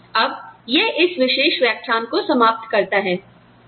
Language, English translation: Hindi, Now, that ends this particular lecture